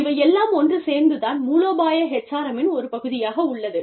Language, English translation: Tamil, All of this is, part of strategic HRM